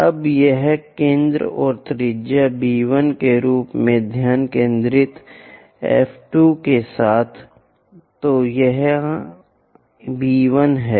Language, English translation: Hindi, Now, with focus F 2 from here, as a centre and radius B 1; so, B is here B 1 is that